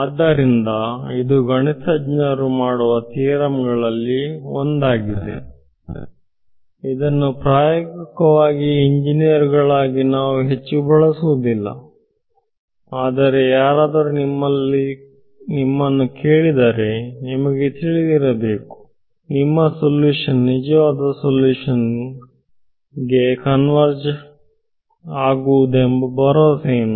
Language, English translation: Kannada, So, this is a one of those theorems which mathematicians make which in practice as engineers we do not tend to use very much, but you should know, if someone asks you: what is the guarantee that your solution will converge to the true solution